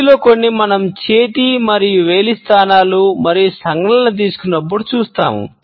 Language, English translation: Telugu, Some of these we will look up when we will take up hand and finger positions and gestures